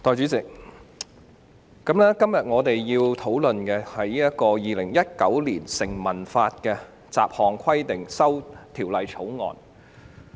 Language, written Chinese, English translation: Cantonese, 代理主席，我們今天要討論的是《2019年成文法條例草案》。, Deputy President today we are going to discuss the Statute Law Bill 2019 the Bill